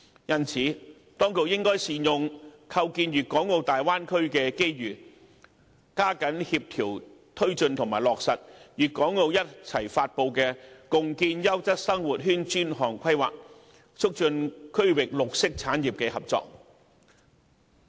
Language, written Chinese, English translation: Cantonese, 因此，當局應善用構建粵港澳大灣區的機遇，加緊協調推進及落實粵港澳共同發布的《共建優質生活圈專項規劃》，促進區域綠色產業的合作。, Therefore the authorities should seize the opportunity presented by the establishment of the Bay Area and more vigorously collaborate the promotion and implementation of the Regional Cooperation Plan on Building a Quality Living Area jointly announced by Guangzhou Hong Kong and Macao so as to strengthen cooperation among green industries in the region